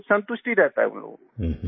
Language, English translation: Hindi, So those people remain satisfied